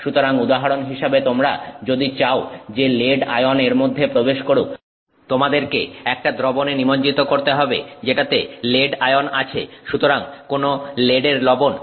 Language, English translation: Bengali, So, for example if you want lead ions to get into it you have to immerse it in a solution that has lead ions, so some lead salt